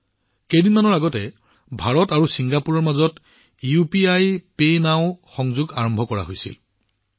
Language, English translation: Assamese, Just a few days ago, UPIPay Now Link has been launched between India and Singapore